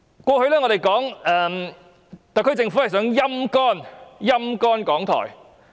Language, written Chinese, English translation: Cantonese, 我們過去批評特區政府想"陰乾"港台。, Some time ago we criticized the SAR Government saying that it wanted to dry up RTHK